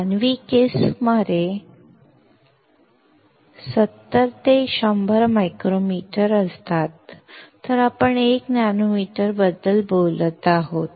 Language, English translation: Marathi, A human hair is about 70 to 100 micrometers, while we are talking about about 1 nanometer